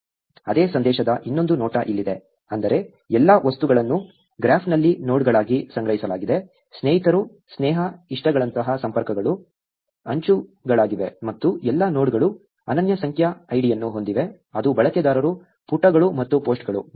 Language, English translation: Kannada, Here is the another view of the same message, which is, all objects are stored as nodes in the graph; connections like friends, friendships, likes are edges and all nodes have a unique numeric ID, which is users, pages and posts